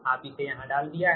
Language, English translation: Hindi, here you have put it right that